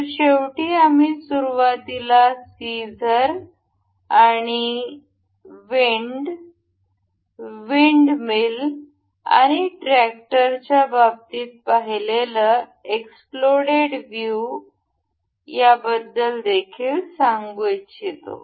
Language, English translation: Marathi, So, in the end, I would like to also tell you about explode view that we initially saw in the case of scissors, the wind the windmill and the tractor